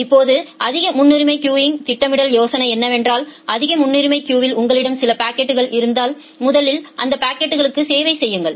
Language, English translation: Tamil, Now the scheduler in case of priority queuing the idea is that if you have some packets in the high priority queue you first serve that packets